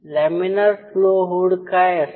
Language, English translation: Marathi, So, what is laminar flow hood